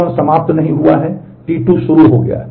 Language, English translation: Hindi, T 1 has not finished T 2 has started